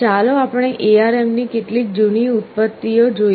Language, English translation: Gujarati, Let us look at some of the older generations of ARM